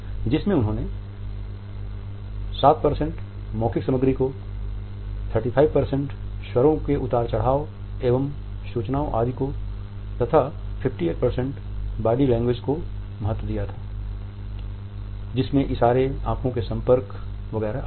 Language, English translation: Hindi, He had put verbal content at 7% paralanguage that is tone of the voice intonations inflections etcetera, at 35% and body language that is gestures postures eye contact etcetera at 58%